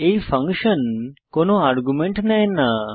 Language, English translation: Bengali, This function does not take any arguments